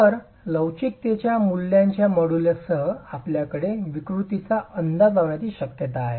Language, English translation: Marathi, So, with the models of elasticity values, you have the possibility of estimating deformations